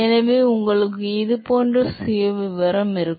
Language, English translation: Tamil, So, you will have profile which look like this